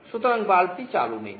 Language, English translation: Bengali, So, the bulb is not switched on